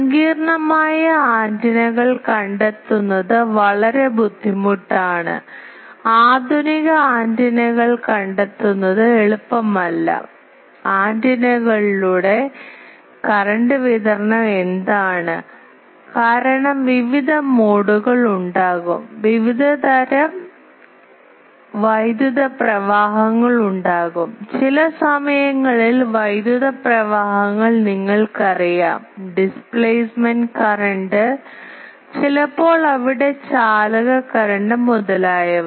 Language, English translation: Malayalam, It is very difficult to find for complicated antennas, modern antennas it is not easy to find the, what is the current distribution along the antennas because there will be various modes, there will be various types of currents, you know the currents sometimes where the displacement current, sometimes there conduction current etc